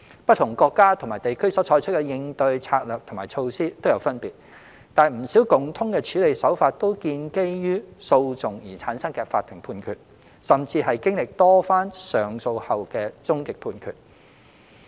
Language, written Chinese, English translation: Cantonese, 不同國家及地區所採取的應對策略和措施皆有分別，但不少共通的處理手法均建基於訴訟而產生的法庭判決，甚至是經歷多番上訴後的終極判決。, Although different countries and regions have adopted different corresponding strategies and measures many common handling approaches have been formulated based on court rulings in litigations or final rulings on cases after repeated appeals